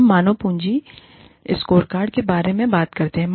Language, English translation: Hindi, We talk about, human capital scorecards